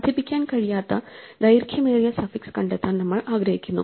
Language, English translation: Malayalam, We want to find the longest suffix that cannot be incremented